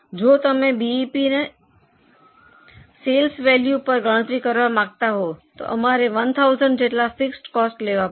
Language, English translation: Gujarati, If you want to calculate BEP as a sales value, we had assumed fixed cost of 1,000